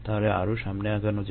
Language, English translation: Bengali, let us move forward now